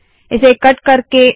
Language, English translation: Hindi, Lets cut this